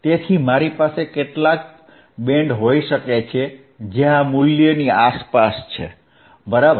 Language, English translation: Gujarati, So, we can have some band which is around this value, right